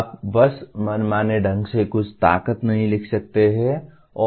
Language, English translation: Hindi, You cannot just write arbitrarily some strength and not write anything